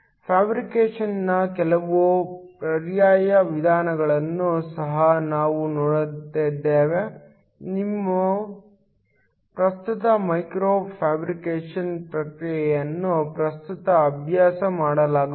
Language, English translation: Kannada, We also look at some alternate methods of fabrication then your standard micro fabrication processing that is currently being practiced